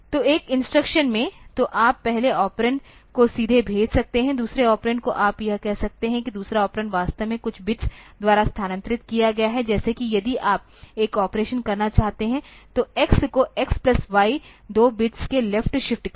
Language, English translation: Hindi, So, in one instruction, so you can send the first operand directly, second operand you can say that the second operand is actually shifted by some bits, like if you want to do an operation, say x equal to x plus y left shifted by 2 bits